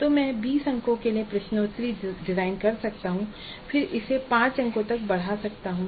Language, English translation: Hindi, So I may design the quiz for 20 marks then scale it down to 5 marks